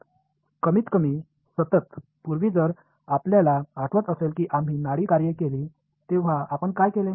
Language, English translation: Marathi, At least continuous; previously if you remember when we had done the pulse functions what will what did we do